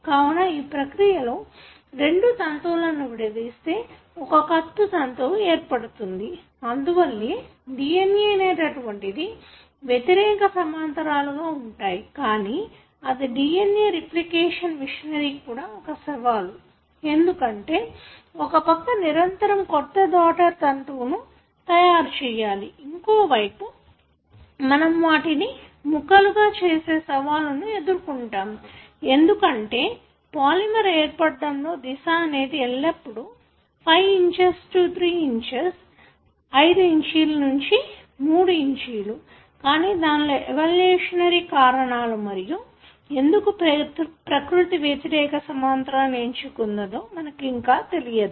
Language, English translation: Telugu, Thus in this process the two strands are separated and a new strand is being made and why the DNA should be antiparallel, because, it is also a challenge for the DNA replication machinery, since on one side it is able to make a continuous synthesis of the new daughter strand, but on the other strand you do have a challenge that is to make bits and pieces of them, because of the direction of the formation of the polymer; always it is 5’ to 3’